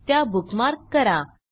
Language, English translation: Marathi, * Bookmark all of them